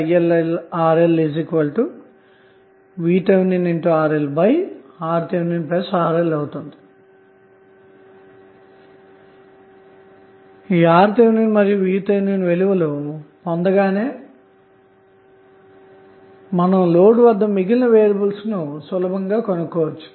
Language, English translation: Telugu, So When you get the values of RTh and VTh you can easily find out the variables across the load